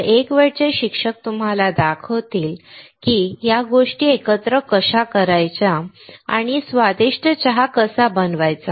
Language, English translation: Marathi, So, one time teacher will show you, how to mix these things together and make a delicious cup of tea